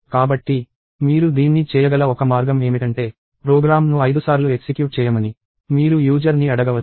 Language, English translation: Telugu, So, one way in which you can do this is you can ask the user to run the program five times